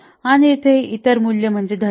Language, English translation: Marathi, And here the other value is courage